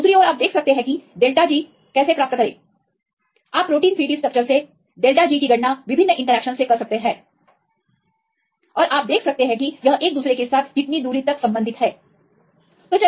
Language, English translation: Hindi, So, on the other hand, you can see get the delta G, you can calculate delta G from protein 3D structures various interactions and you can relate how far this can be related with each other